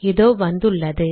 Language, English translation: Tamil, So there it is